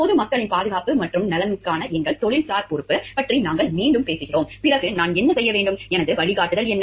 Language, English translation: Tamil, And then we talking again of our professional responsibility towards the public at large for their safety and welfare, then what should I do, what is my guidance